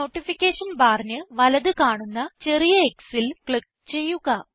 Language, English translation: Malayalam, Click on the small x mark on the right of the Notification bar